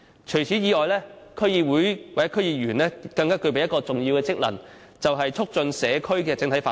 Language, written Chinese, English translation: Cantonese, 此外，區議會或區議員更具備一項重要職能，就是促進社區的整體發展。, DCs or DC members also play an important role in facilitating community development overall which includes enhancing the consultation function of DCs